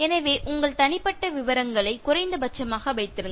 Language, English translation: Tamil, So, keep your personal details to the minimum